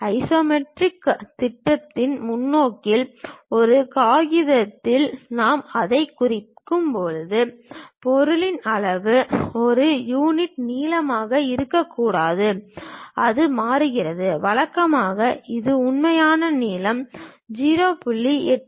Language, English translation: Tamil, When we are representing it on a paper in the perspective of isometric projection; the object size may not be one unit length, it changes, usually it change to 0